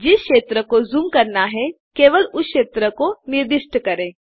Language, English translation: Hindi, Just specify the region to zoom into